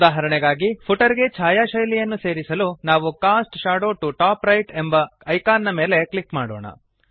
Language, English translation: Kannada, For example , to put a shadow style to the footer, we click on the Cast Shadow to Top Right icon